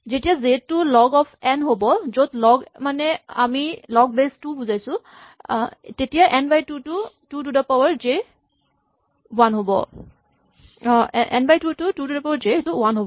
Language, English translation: Assamese, So, when j is log of n, where log by log we usually mean log to the base 2, then n by 2 to the j will be 1